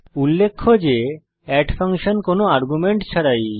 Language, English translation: Bengali, Note that add function is without any arguments